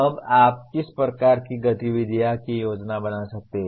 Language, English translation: Hindi, Now what are the type of activities that you can plan